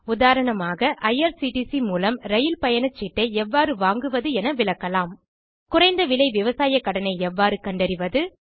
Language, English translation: Tamil, For example, one can explain how to buy train tickets through irctc How to locate low cost agricultural loans